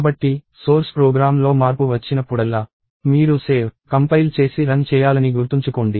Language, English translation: Telugu, So, whenever there is a change in source program, remember you have to save compile and run it